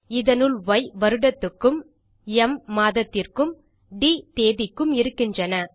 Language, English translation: Tamil, Inside we have Y for the year, m for the month and d for the date